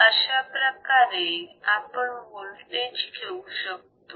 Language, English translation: Marathi, TAhis is how we take the voltage